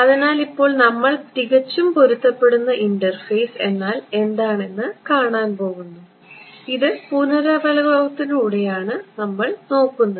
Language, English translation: Malayalam, So, now we are going to look at what is called a perfectly matched interface and this is by means of revision